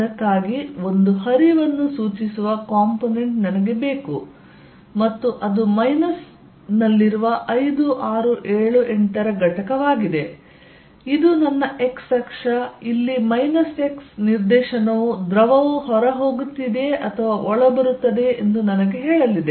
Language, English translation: Kannada, So, for that I need the component which indicates a flow out and that is for 5, 6, 7, 8 the component in minus this is my x axis, in minus x direction is going to tell me whether fluid is leaving or coming in